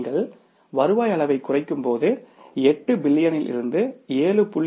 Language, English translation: Tamil, So, the moment you change the revenue level from the 8 million to 7